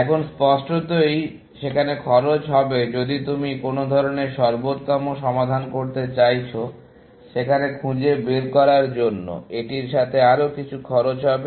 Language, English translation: Bengali, Now, obviously, there would be cost, if you going to do some kind of optimal solution, finding there, would be some kind of cost associated with it